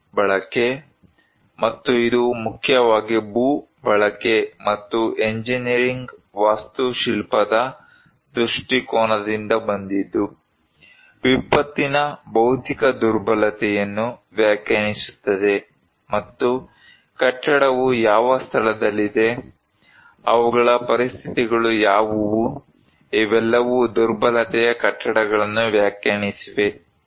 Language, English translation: Kannada, Like, the land use and this mainly came from land use and engineering architectural perspective to define the physical vulnerability of disaster and also like the which locations the building are there, what are their conditions so, these all defined the buildings of vulnerability